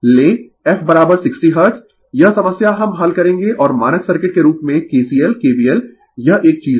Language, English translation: Hindi, You take f is equal to 60 hertz, this problem we will solve and as standard circuit kcl, kbl this is one thing